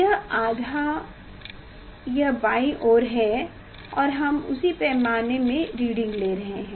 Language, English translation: Hindi, this half is there this left side and side we are taking reading from the same scale